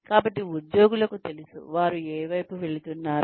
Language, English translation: Telugu, So, the employees know, what they are heading towards